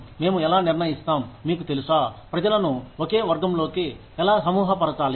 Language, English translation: Telugu, How do we decide, you know, how to group people, into the same category